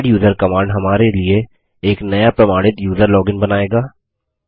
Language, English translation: Hindi, The adduser command will create a new user login for us along with authentication